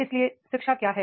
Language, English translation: Hindi, Now, what is education